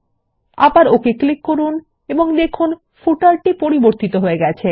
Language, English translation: Bengali, Again click on OK and we see that the effect is added to the footer